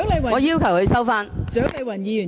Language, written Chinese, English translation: Cantonese, 我要求她收回言論。, I ask her to withdraw her remark